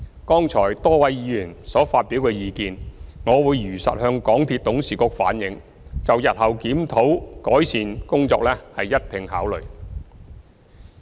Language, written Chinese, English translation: Cantonese, 剛才多位議員所發表的意見，我會如實向港鐵董事局反映，就日後檢討改善工作一併考慮。, I will truthfully relay the views expressed by a number of Members earlier on to the Board of MTRCL for its consideration in tandem with future review and improvement efforts